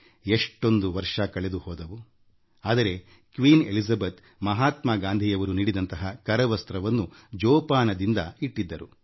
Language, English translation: Kannada, So many years have passed and yet, Queen Elizabeth has treasured the handkerchief gifted by Mahatma Gandhi